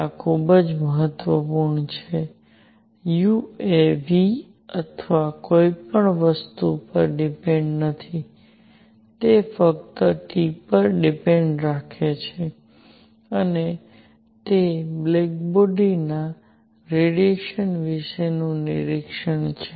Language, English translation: Gujarati, This is very important, U does not depend on V or anything, it depends only on T and that is that is the observation about black body radiation